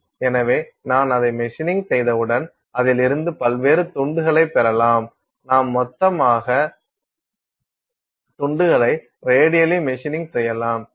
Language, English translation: Tamil, So, once you machine it out you can get various pieces out of it; so, you can radially machine out a whole bunch of pieces